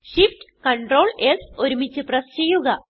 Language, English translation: Malayalam, First press Shift, Ctrl and S keys simultaneously